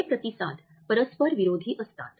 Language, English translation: Marathi, These responses are contradictory